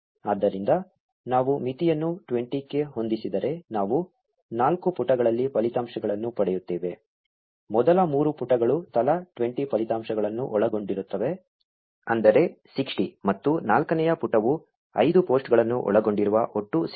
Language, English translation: Kannada, So, if we set the limit to 20, we will get results in four pages, the first three pages containing 20 results each, that is 60, and the fourth page containing five posts, totaling to 65